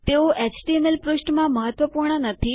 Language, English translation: Gujarati, Theyre not vital in an html page